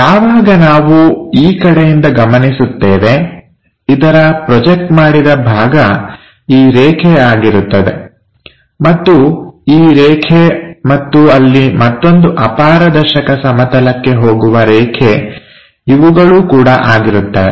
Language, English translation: Kannada, [vocalized noise When we are observing from this direction, the projected part is this line, and this line and there is one more line projector onto this opaque plane